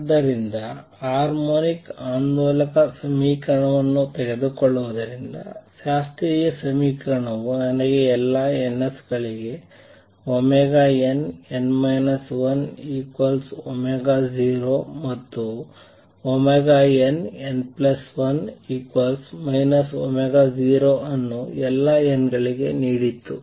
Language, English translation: Kannada, So, taking the harmonic oscillator equation the first step the classical equation gave me that omega n n minus 1 is equal to omega 0 for all ns and omega n, n plus 1 is minus omega 0 for all n’s